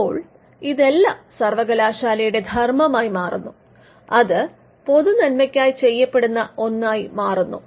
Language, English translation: Malayalam, Now, all these became a part of the university function because, it was seen as a something that was done for the public good